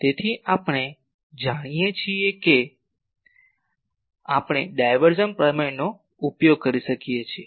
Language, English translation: Gujarati, So, we know we can use divergence theorem